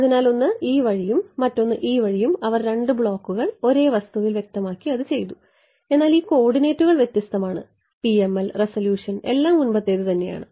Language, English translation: Malayalam, So, one this way and one this way and they have done it by specifying two blocks same material, but this coordinates are different PML resolution everything as before ok